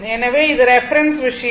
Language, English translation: Tamil, So, it is it is reference thing